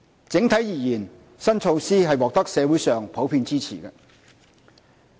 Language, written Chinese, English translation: Cantonese, 整體而言，新措施獲得社會上普遍支持。, Overall the new measure has commanded general support in the community